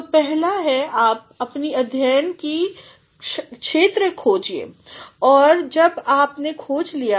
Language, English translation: Hindi, So, first is you identify the field of your study when you have identified